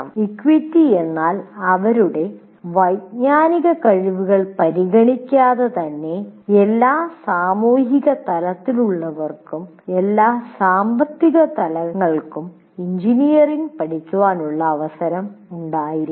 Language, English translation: Malayalam, Equity would mean that people belonging to all social strata, all economic strata should have chance to study engineering